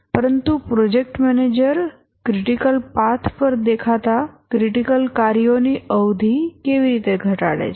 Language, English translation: Gujarati, But how does the project manager reduce the duration of the critical tasks that appear on the critical path